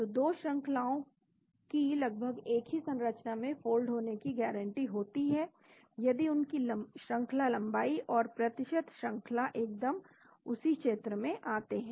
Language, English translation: Hindi, So, 2 sequences are practically guaranteed to fold into the same structure if their length and percentage sequence identically fall into the region